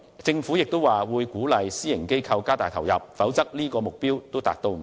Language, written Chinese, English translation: Cantonese, 政府亦表示會鼓勵私營機構加大投入，否則連這個目標也未能達到。, Also the Government advised that the private sector would be encouraged to increase their investment otherwise even the above target could not be reached